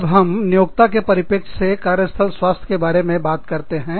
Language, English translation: Hindi, So, when we talk about health, when we talk about workplace health, from the employee's perspective